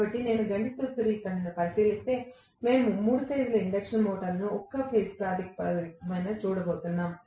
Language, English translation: Telugu, So, if I look at the mathematical formulation, we are going to look at the 3 phase induction motor on a per phase basis